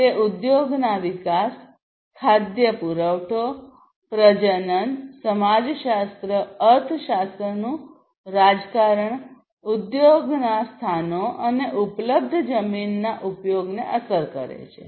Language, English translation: Gujarati, It affects the industry growth, food supplies, fertility, sociology, economics politics, industry locations, use of available lands, and so on